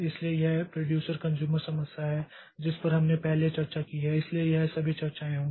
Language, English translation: Hindi, So, this producer consumer problem that we have discussed previously